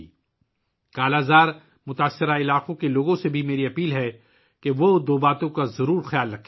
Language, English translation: Urdu, I also urge the people of 'Kala Azar' affected areas to keep two things in mind